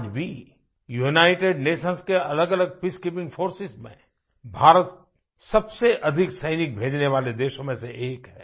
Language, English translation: Hindi, Even today, India is one of the largest contributors to various United Nations Peace Keeping Forces in terms of sending forces personnel